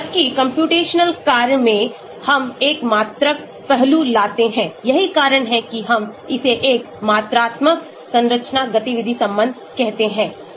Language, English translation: Hindi, Whereas in computational work, we bring a quantitative aspect to that that is why we call it a quantitative structure activity relationship here